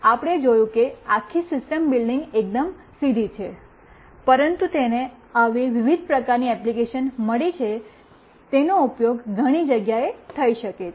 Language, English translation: Gujarati, We have seen that the building the whole system is fairly very straightforward, but it has got such a variety of application, it could be used in so many places